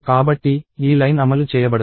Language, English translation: Telugu, So, this line will not execute